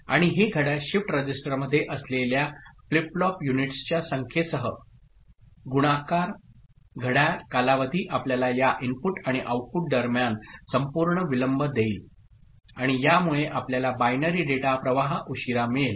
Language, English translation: Marathi, And, this clock the clock time period multiplied by the number of flip flop units that is there in the shift register will be giving you the total delay between this input and output and that will give you the time by which the binary data stream is getting delayed, ok